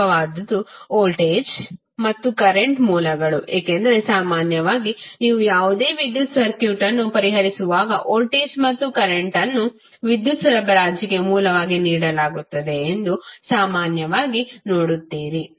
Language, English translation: Kannada, The most important are voltage and current sources because generally when you will solve any electrical circuit you will generally see that voltage and current are given as a source for the supply of power